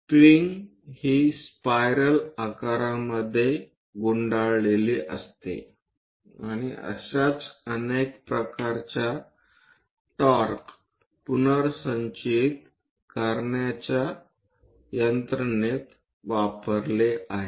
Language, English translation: Marathi, The spring is wounded into a spiral shape and many torque restoring kind of mechanisms